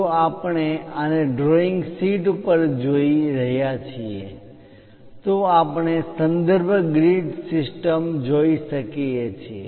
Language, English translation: Gujarati, If we are looking at this on the drawing sheet we can see a reference grid system